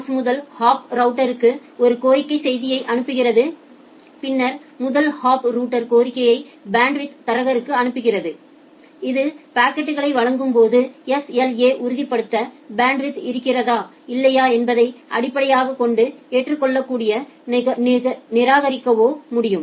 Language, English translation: Tamil, The source sends a request message to the first hop router, then the first hop router sends the request to the bandwidth broker, which send backs either accept or reject based on whether the bandwidth can be whether the SLA can be ensured, in delivering the packet